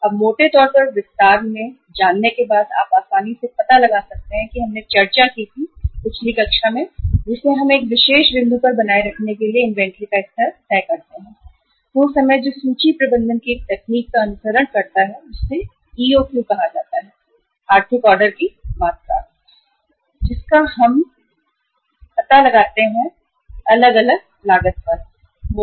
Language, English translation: Hindi, Now roughly without going further into detail you can easily make out that we discussed in the previous class that we decide the level of inventory to be maintained at one particular point of time that is by following a technique of inventory management which is called as EOQ, economic order quantity and that economic order quantity we uh find out by taking into consideration different cost